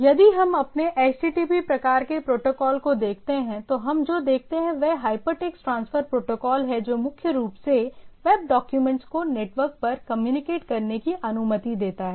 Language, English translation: Hindi, So, if we look at our HTTP type of protocol, then what we see it is a Hypertext Transfer Protocol allows primarily allows web document to be communicated over the network